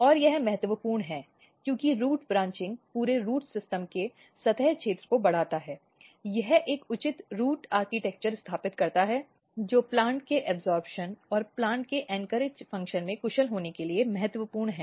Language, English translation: Hindi, And this is very important root branching basically increase the surface area of entire root system, it establishes a proper root architecture and which is very important for plant to be efficient in absorption and anchorage function of a plant